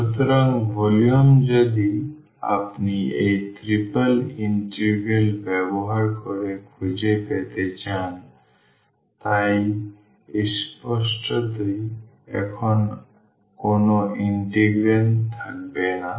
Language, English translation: Bengali, So, the volume if you want to find using this triple integral so; obviously, there will be no integrand now